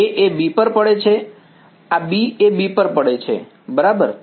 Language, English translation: Gujarati, A falling on B this is B falling on B right